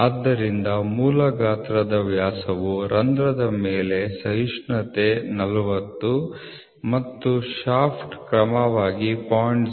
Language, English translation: Kannada, So, the basic size diameter is 40 the tolerance on the hole and the shaft are 0